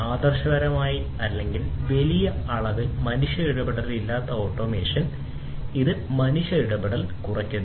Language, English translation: Malayalam, Automation where there is no human intervention ideally or to a large extent, there is reduced human intervention